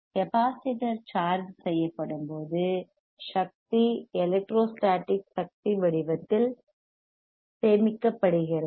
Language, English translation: Tamil, We were that whenhen the capacitor gets charged, right the energy gets stored in forms of in the form of electro static energy